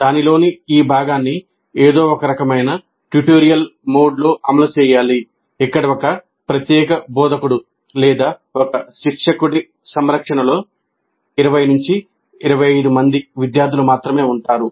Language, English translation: Telugu, So this part of it must be run in some kind of a tutorial mode where there are only about 20 to 25 students with the care of one particular instructor or one tutor